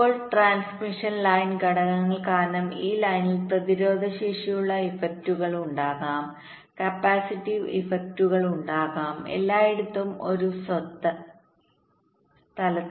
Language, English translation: Malayalam, now, because of transmission line factors means along this line there will be resistive effects, there will be capacitive effects, not in one place all throughout